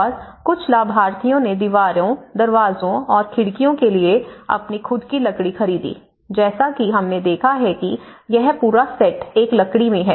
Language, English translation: Hindi, And some beneficiaries bought their own timber for walls, doors and windows as we have seen in this complete set is in a timber